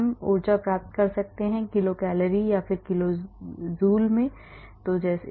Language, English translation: Hindi, we can get the energy is in kilo cal or kilo joule